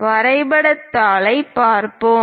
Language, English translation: Tamil, Let us look at on the graph sheet